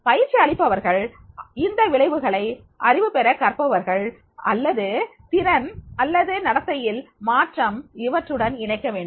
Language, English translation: Tamil, Trainers then need to link these outcomes to learners acquiring knowledge or skills or changing behaviors